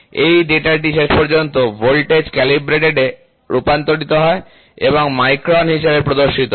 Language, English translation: Bengali, So, this data is finally, converted into voltage calibrated and displayed as microns